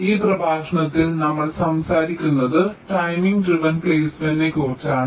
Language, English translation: Malayalam, ah, in this lecture we shall be talking about timing driven placement